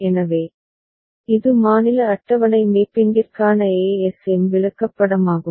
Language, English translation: Tamil, So, that is the ASM chart to state table mapping